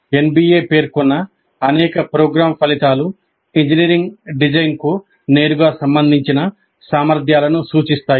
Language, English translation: Telugu, Several program outcomes specified by NBA refer to competencies that are related directly to engineering design